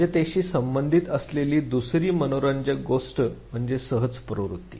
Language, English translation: Marathi, Second interesting thing which is related to preparedness is what is called as instinctive drift